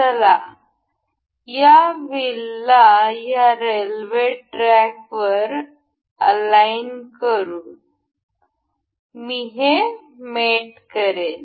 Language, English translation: Marathi, Let us just align these wheels to this rail track; I will make it mate